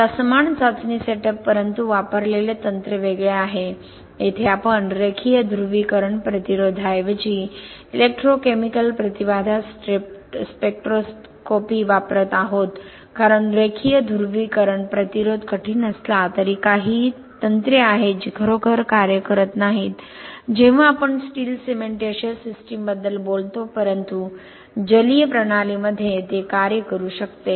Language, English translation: Marathi, Now similar test, you have similar test setup but the technique used is different here we are using electrochemical impedance spectroscopy instead of linear polarisation resistance because linear polarisation resistance even though that you know, it is difficult to, there are some techniques which are not really working when you talk about steel cementitious system but in an aqueous system it might work